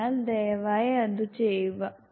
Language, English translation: Malayalam, So please do that